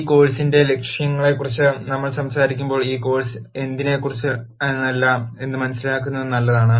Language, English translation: Malayalam, While we talk about what the objectives of this course are it is also a good idea to understand what this course is not about